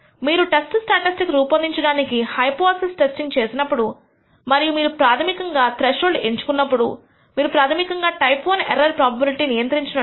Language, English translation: Telugu, When you construct this hypothesis test to construct the test statistic and choose a threshold you basically try to control this type I error probability